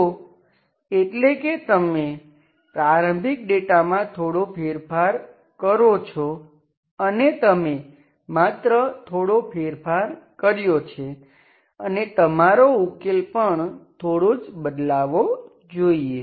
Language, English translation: Gujarati, So that means you perturb little bit the initial data, you just changed little bit and you, solution also should be changed, going only little